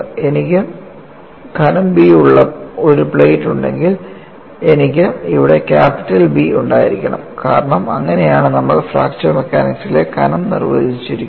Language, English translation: Malayalam, Say if I have a plate of thickness b, I would here have capital B, because that is how we have defined the thickness in fracture mechanics